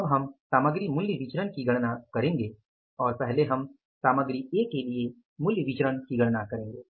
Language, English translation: Hindi, So, now we will calculate the material price variance and we will take calculate this variance first for the material A, right